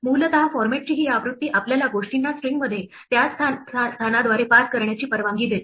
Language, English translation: Marathi, Essentially, this version of format allows us to pass things into a string by their position in the format thing